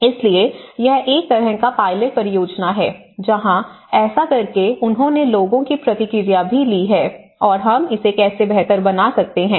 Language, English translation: Hindi, So, itís a kind of pilot project where by doing so they have also taken the feedback of the people and how we can improve it further